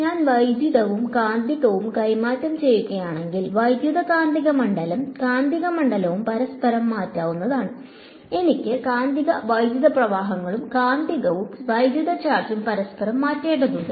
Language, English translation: Malayalam, Electric field and magnetic field are interchangeable if I interchange electric and magnetic, I have to interchange magnetic and electric currents magnetic and electric charge right